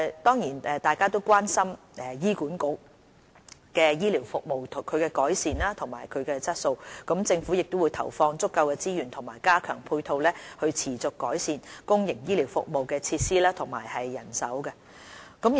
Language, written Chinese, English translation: Cantonese, 大家都關心醫院管理局的醫療服務和改善服務質素，政府會投放足夠的資源和加強配套，持續改善公營醫療服務的設施和人手。, We are all similarly concerned about the health care services and the improvement of service quality of the Hospital Authority HA . Through the deployment of sufficient resources and the enhancement of supporting infrastructure the Government will keep improving the facilities and manpower of public health care services